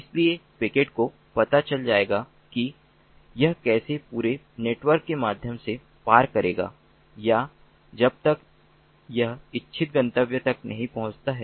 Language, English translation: Hindi, so the packet will know how it will traverse through the entire network or until it reaches the intended destination